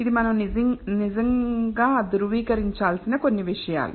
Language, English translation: Telugu, So, these are some of the things that we need to actually verify